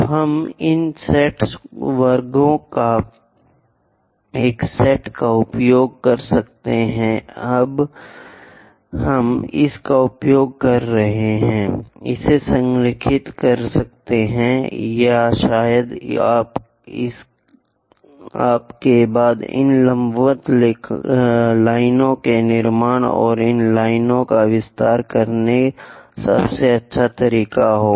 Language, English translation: Hindi, So, we can use set of squares these set squares we can use it, align that or perhaps your drafter is the best way to construct these perpendicular lines and extend this line